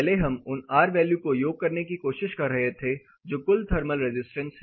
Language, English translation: Hindi, First we were trying to sum the r values that are the thermal resistance on total